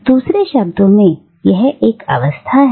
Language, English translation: Hindi, In other words, it is a state